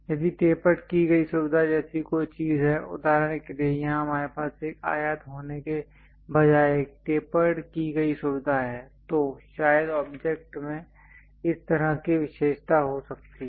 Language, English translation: Hindi, If there are anything like tapered features for example, here, we have a tapered feature instead of having a rectangle perhaps the object might be having such kind of feature